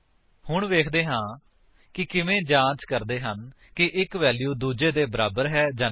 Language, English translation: Punjabi, Now let us see how to check if a value is equal to another